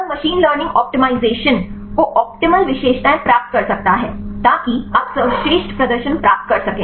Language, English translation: Hindi, Then machine learning will optimize could the get the optimal features so that you can get the best performance